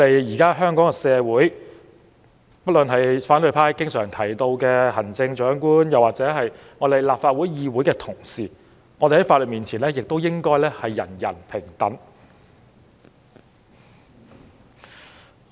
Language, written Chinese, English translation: Cantonese, 現在，反對派經常提到的行政長官或議會同事，亦應在法律面前得到平等對待。, Today the Chief Executive or Honourable colleagues as often mentioned by the opposition camp should also be treated equally before the law